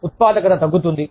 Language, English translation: Telugu, Productivity goes down